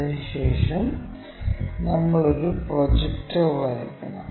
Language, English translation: Malayalam, And, then we require a projector line in this way